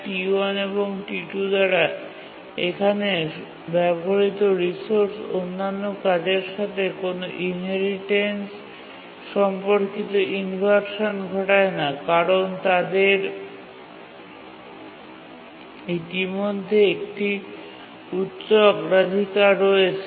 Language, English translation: Bengali, So, the resource uses here by T1 and T2, they don't cause any inheritance related inversions to the other tasks because these are already high priority